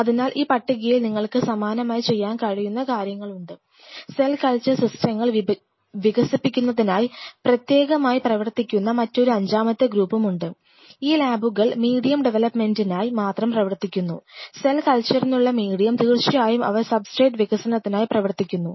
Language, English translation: Malayalam, So, I mean this list can go on what all you can do similarly there is another fifth group which exclusively work on developing cell culture systems itself, these are the labs which exclusively work on medium development, medium for cell culture of course, they work on substrate development, substrate for culturing the cells these are all for the